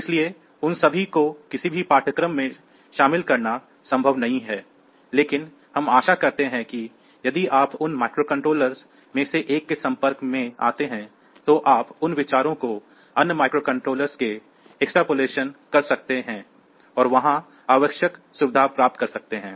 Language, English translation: Hindi, So, it is not possible to cover all of them in any course, but anyway so hope that if you get exposed to 1 of those microcontrollers then you can extrapolate those ideas to other microcontrollers and get the essential features there